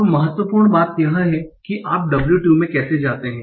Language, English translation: Hindi, Now the important thing is how do you go to W2